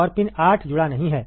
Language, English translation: Hindi, And pin 8 is not connected